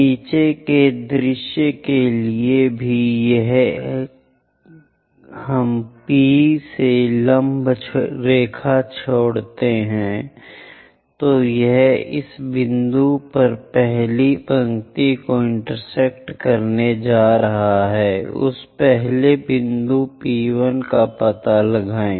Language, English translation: Hindi, For the bottom also bottom view from P if we are dropping a perpendicular line is going to intersect the first line at this point locate that first point P1